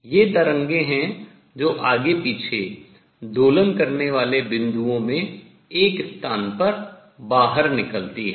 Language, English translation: Hindi, These are waves that just step out at one place in the points oscillating back and forth